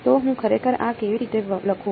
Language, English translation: Gujarati, So, how do I actually write this